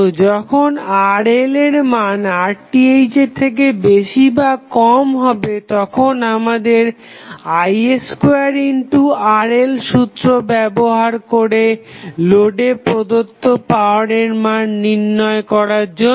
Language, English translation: Bengali, So, when the value is Rth value, Rl value is either more than Rth or less than Rth we have to use the conventional formula of I square Rl to find out the power being transferred to the load